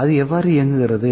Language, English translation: Tamil, How it works